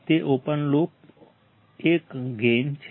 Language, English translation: Gujarati, It is an open loop gain